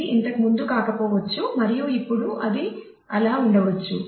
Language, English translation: Telugu, So, it may not have been the case earlier and now it may be the case